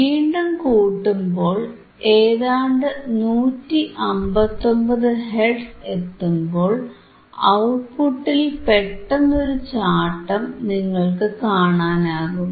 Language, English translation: Malayalam, So, we will see that when you come to 159 hertz or close to 159 hertz you will see a sudden jump in your sudden jump in yyour output, right